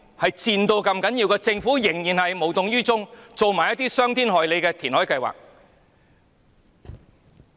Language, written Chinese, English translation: Cantonese, 可是，政府仍然無動於衷，提出這種傷天害理的填海計劃。, However the Government is still indifferent to their plight and proposes this kind of heinous land reclamation plan